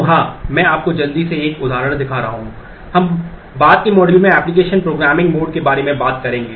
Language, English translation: Hindi, So, yeah I am just quickly showing you an example we will talk about application programming mode in a in a later module